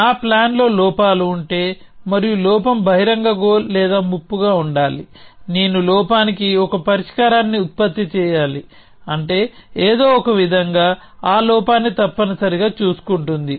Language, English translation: Telugu, And this is the general flavor that once I have flaws in my plan and the flaw should be either open goal or a threat, I must produce a solution for the flaw which is to say somehow takes care of that flaw essentially